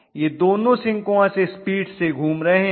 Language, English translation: Hindi, Both of them are rotating at synchronous speed